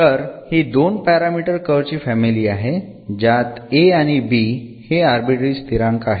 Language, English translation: Marathi, So, this is the two parameter family of curve so we have a and b they are the arbitrary constants here a and b